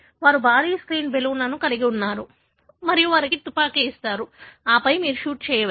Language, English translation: Telugu, They have a huge screen, balloons, stuck to that and they will give you a gun and then, you can shoot